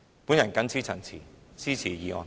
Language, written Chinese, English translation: Cantonese, 我謹此陳辭，支持議案。, With these remarks I support the motion